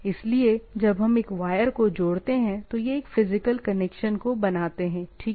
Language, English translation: Hindi, So, when we connect by a wire, this is a physical connection, right